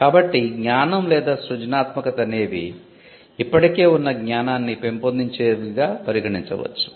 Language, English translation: Telugu, So, all of knowledge or all of creativity can be regarded as building on existing knowledge